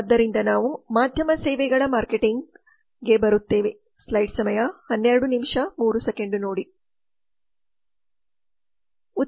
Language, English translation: Kannada, so then we come to media services marketing that marketing of media services